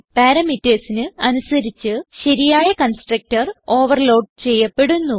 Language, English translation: Malayalam, Based upon the parameters specified the proper constructor is overloaded